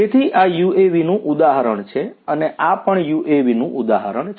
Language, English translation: Gujarati, So, this is an example of an UAV and this is an example of a UAV